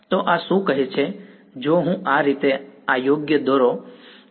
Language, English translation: Gujarati, So, what is this saying that if I draw this right in this way